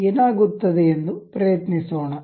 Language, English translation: Kannada, Let us try that what will happen